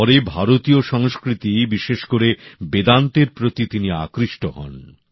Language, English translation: Bengali, Later he was drawn towards Indian culture, especially Vedanta